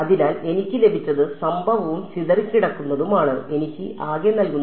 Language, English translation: Malayalam, So, what I have got is incident plus scattered is giving me total